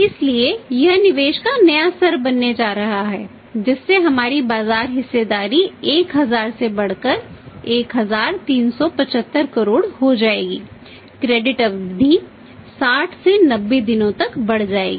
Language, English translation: Hindi, So, this is going to be the new investment level that our market share will increase from the 1000 to say 1375 crores and the credit period will increase from 60 to 90 days